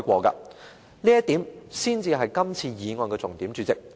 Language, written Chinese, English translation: Cantonese, 主席，這點才是今次議案的重點。, President this is a key point of this motion